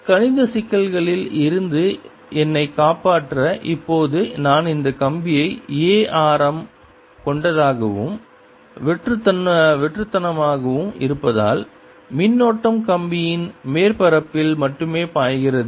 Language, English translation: Tamil, to save myself from mathematical difficulties right now, i take this wire to be such that it has a radius a and is hollow, so that the current flows only on the surface of the wire